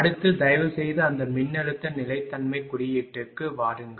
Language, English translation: Tamil, So next ah you please you please come to ah that voltage stability index right